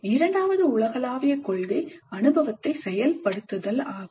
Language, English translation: Tamil, The second universal principle is activating the experience